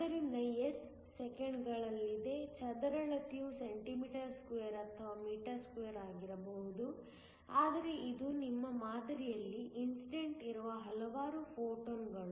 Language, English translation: Kannada, So, s is in seconds, area could be cm2 or m2, but it is a number of photons that are incident on your sample